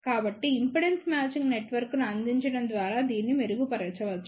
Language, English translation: Telugu, So, this can be improved by providing impedance matching network